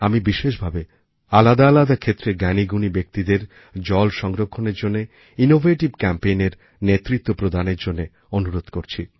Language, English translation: Bengali, I specifically urge the luminaries belonging to different walks of life to lead promotion of water conservation through innovative campaigns